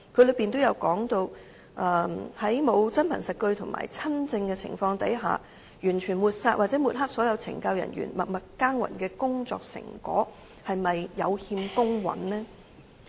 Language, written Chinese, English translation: Cantonese, 當中提到在沒有真憑實據和親證的情況下，完全抹煞或抹黑所有懲教人員默默耕耘的工作成果，是否有欠公允呢？, He says that without conclusive proof and witness evidence people are ruling out or smearing the silent efforts made by CSD staff is it fair?